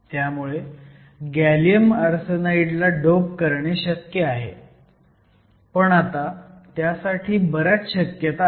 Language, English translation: Marathi, So, it is also possible to dope gallium arsenide, but they are now more possibilities in this case